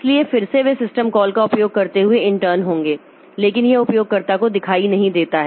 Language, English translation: Hindi, So, again, they will be in turn using system calls, but that is not visible to the user